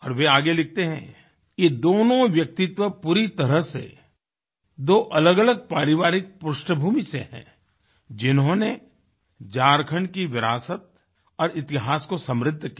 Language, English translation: Hindi, He further states that despite both personalities hailing from diverse family backgrounds, they enriched the legacy and the history of Jharkhand